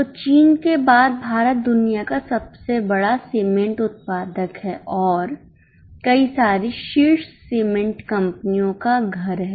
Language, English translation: Hindi, So, India's second largest cement producer after China is a home to number of top cement companies